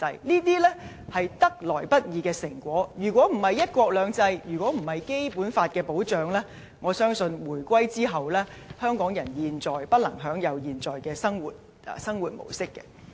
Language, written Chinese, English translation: Cantonese, 這些是得來不易的成果，如果不是"一國兩制"，如果不是《基本法》的保障，我相信回歸後，香港人不能享有現在的生活模式。, These results are not easy to come by . Without the implementation of one country two systems and the protection provided by the Basic Law I do not believe Hong Kong people can enjoy the present way of life after the reunification